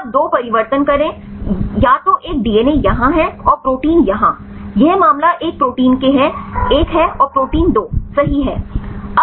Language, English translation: Hindi, Now you go 2 change either one is DNA is here and the proteins here, this case is a protein one and the protein 2 right